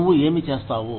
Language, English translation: Telugu, What will you do